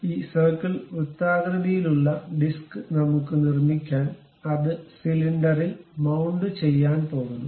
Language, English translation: Malayalam, This circle circular disc what we are going to construct, it is going to mount on the cylinder